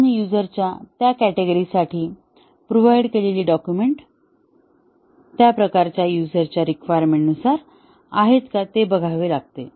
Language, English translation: Marathi, And, whether the documents that have been provided for those category of users are as per requirement of those types of users